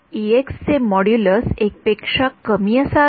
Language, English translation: Marathi, The modulus of e x should be less than 1